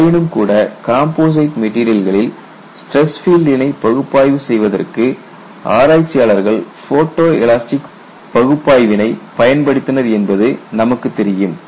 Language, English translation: Tamil, But nevertheless you know, people have utilized photo elastic analysis for analyzing stress field in composites and that is what am going to show